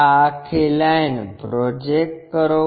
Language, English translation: Gujarati, Project this entire line